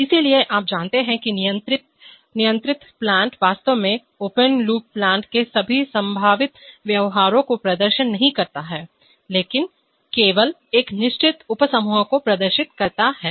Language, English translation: Hindi, so, you know the controlled plant is actually has, does not exhibit the all possible behavior of the, of the open loop plant, but exists, but exhibits only a certain subset